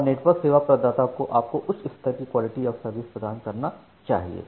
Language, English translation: Hindi, And the network service provider should provide you that level of quality of service